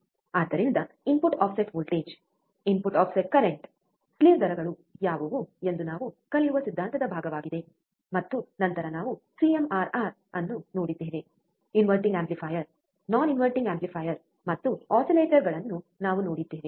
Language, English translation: Kannada, So, this is the theory part we learn what are the things input offset voltage input offset current slew rate, and then we have seen CMRR, we have also seen inverting amplifier non inverting amplifier oscillators and so on so forth